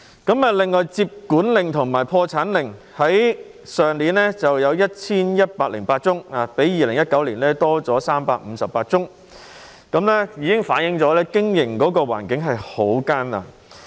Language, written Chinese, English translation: Cantonese, 至於接管令和破產令方面，去年有 1,108 宗，較2019年增加358宗，這已經反映經營環境很艱難。, As regards receiving orders or bankruptcy orders there were 1 108 cases last year an increase of 358 cases compared with 2019 . These figures reflect that business environment is very difficult